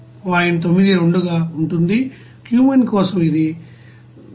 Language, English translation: Telugu, 92, for cumene it will be 176